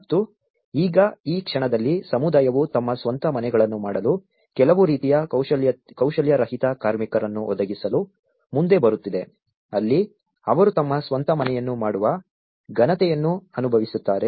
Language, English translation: Kannada, And now, in this the moment, the community is coming forward to provide some kind of unskilled labour to make their own houses, where they feel dignity about making their own house